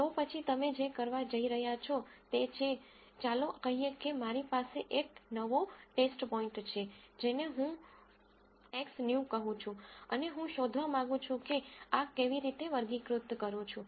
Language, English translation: Gujarati, Then what you are going to do is, let us say I have a new test point which I call it X new and I want to find out how I classify this